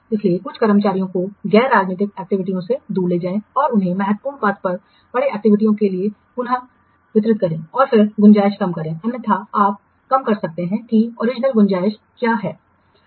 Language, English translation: Hindi, So bring the take away some of the staffs from non critical activities and reallocated them to the activities lying on the critical path and then reduce the scope otherwise you can reduce what is the original scope now you see it is not possible to achieve all the scopes